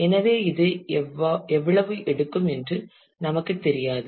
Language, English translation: Tamil, So, we just we do not know how much it will take